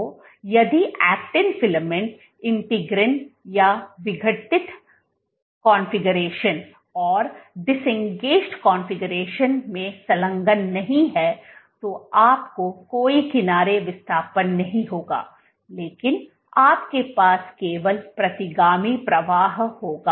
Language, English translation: Hindi, So, if the actin filament is not attached to the integrin or in the disengaged configuration you will not have any edge displacement but you will only have retrograde flow